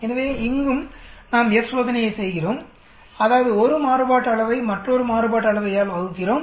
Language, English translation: Tamil, So here also we perform F test that means, we divide 1 variance by another variance